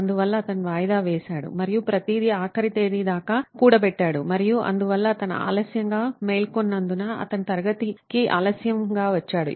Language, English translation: Telugu, So he procrastinated and everything piled to the deadline and that's why he came late to class because he woke up late